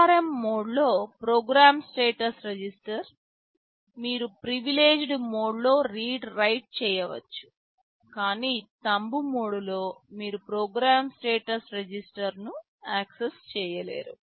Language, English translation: Telugu, Program status register in ARM mode, you can do read write in privileged mode, but in Thumb mode you cannot access program status register